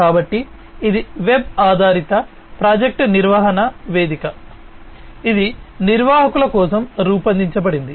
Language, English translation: Telugu, So, this is a web based project management platform that is designed for managers